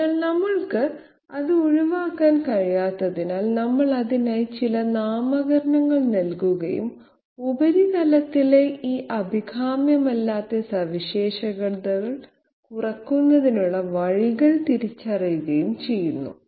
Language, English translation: Malayalam, So since we cannot avoid it, we put some nomenclature for that and identify the ways in which we can reduce these undesirable features on the surface